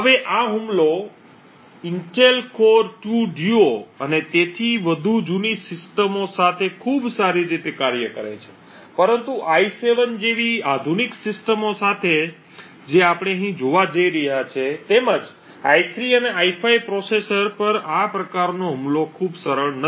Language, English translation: Gujarati, Now this attack works very well with the older systems like the Intel Core 2 Duo and so on but with modern systems like the i7 like we are going to have here as well as the i3 and i5 processors the attacks are not very successful